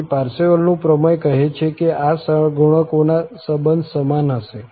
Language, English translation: Gujarati, So, the Parseval's theorem says that this will be equal to these relation of the coefficients